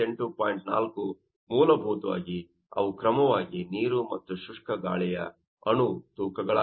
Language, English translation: Kannada, 4 basically, they are molecular weights of water and dry air, respectively